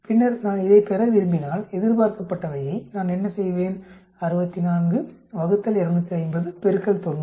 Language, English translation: Tamil, Then if I want to get this the expected what I do, 64 divided by 250 multiplied by 90